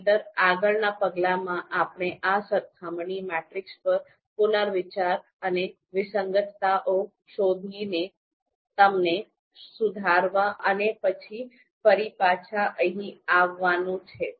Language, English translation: Gujarati, Otherwise, the next step that is to be done is to reconsider this comparison matrix and find out inconsistencies and correct them and then again get back